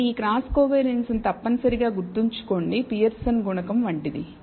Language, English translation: Telugu, So, remember you this cross covariance is essentially like a Pearson’s coefficient